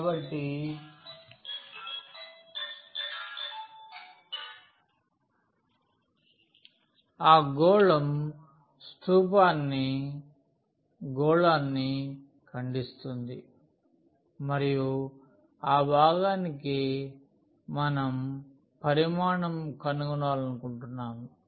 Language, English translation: Telugu, So, the sphere is the cylinder is cutting the sphere and that portion we want to find the volume